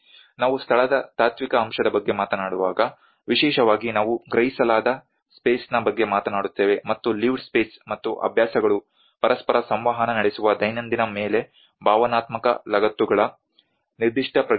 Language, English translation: Kannada, When we talk about the philosophical aspect of place, where especially we talk about the perceived space, and the lived space where certain sense of emotional attachments place on the daily where the habitat and habits interact with each other